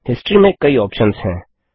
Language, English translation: Hindi, Under History, there are many options